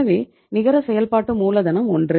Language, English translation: Tamil, So net working capital is 1